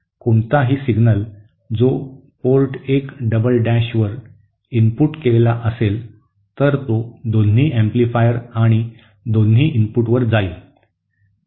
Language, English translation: Marathi, Any signal that is inputted at Port 1 double dash, it will travel to both the inputs, both the amplifiers